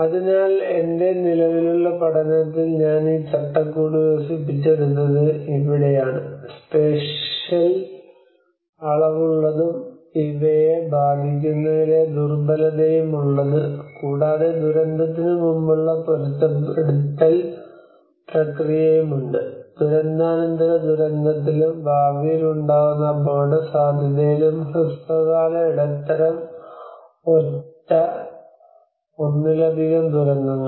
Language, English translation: Malayalam, So it is where in my current ongoing study I developed this framework where we have the spatial dimension and which has also the vulnerability in impacting on these, and there is also the adaptation process both pre disaster in disaster post disaster and the future risk which has a short term and medium term of single and multiple disasters